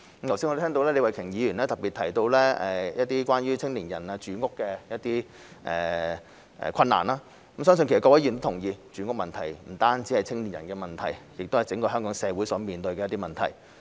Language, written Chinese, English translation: Cantonese, 我剛才亦聽到李慧琼議員特別提到關於青年的住屋困難，相信各位議員亦同意，住屋問題不單是青年人的問題，更是整個香港社會所面對的問題。, I also heard Ms Starry LEE highlight the housing problems of young people just now . I believe all Members will agree that housing is not only an issue for young people but one that affects the Hong Kong community at large